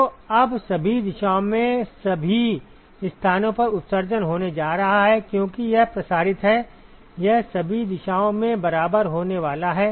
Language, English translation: Hindi, So, now, the emission is going to occur at all locations in all directions, because it is diffuse it is going to be equal in all directions right